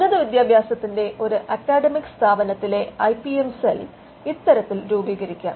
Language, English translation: Malayalam, IPM cell, in an academic institution of higher education would be constituted on these lines